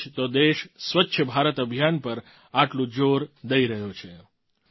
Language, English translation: Gujarati, That is why the country is giving so much emphasis on Swachh BharatAbhiyan